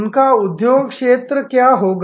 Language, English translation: Hindi, What will be their industry sector